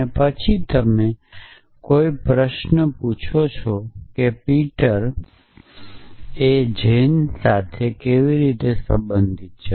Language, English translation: Gujarati, And then you could ask a question how is Peter related to Jane